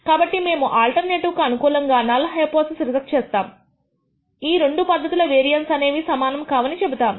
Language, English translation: Telugu, So, we reject the null hypothesis in favor of the alternative and claim that that the two vari ances of the two process are not equal